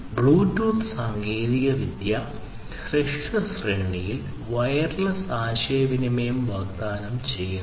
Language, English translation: Malayalam, So, we have this Bluetooth technology which offers wireless communication in short range